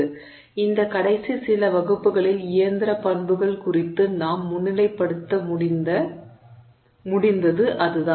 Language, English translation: Tamil, So, that's what we have been able to highlight in these last few classes with respect to mechanical properties